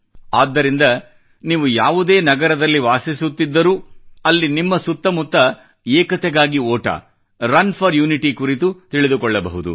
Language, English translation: Kannada, And so, in whichever city you reside, you can find out about the 'Run for Unity' schedule